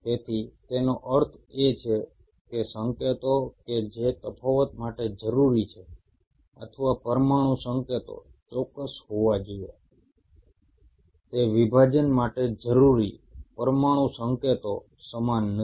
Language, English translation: Gujarati, So it means the signals which are needed for the differentiation or the molecular signals to be precise are not same as the molecular signals you needed for division